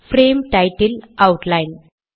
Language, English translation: Tamil, Frame title is outline